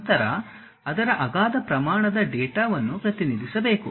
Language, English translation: Kannada, Then, its enormous amount of data one has to really represent